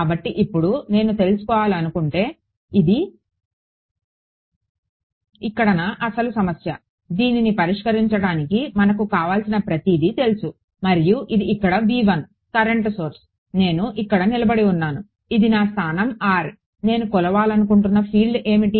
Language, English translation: Telugu, So, now, we know pretty much everything if I want to find out now this was my original problem over here; v 1 and this is the current source over here I am standing over here this is my location r what is the field that I want to measure